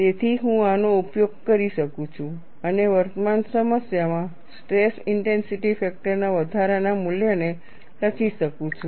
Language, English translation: Gujarati, So, I can invoke this and write the incremental value of stress intensity factor in the current problem